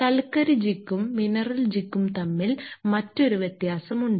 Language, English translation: Malayalam, There is also another difference between a coal jig and mineral jig